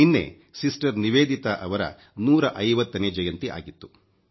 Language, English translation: Kannada, Yesterday was the 150th birth anniversary of Sister Nivedita